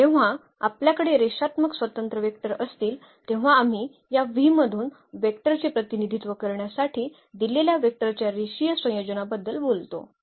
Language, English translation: Marathi, And when you have linearly independent vectors there will be no free variable when we talk about that linear combination of the given vectors to represent a vector from this V